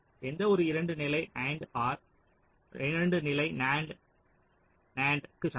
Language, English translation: Tamil, now we know that any two level and or equivalent to two level, nand, nand